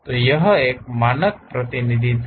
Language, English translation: Hindi, This is the standard representation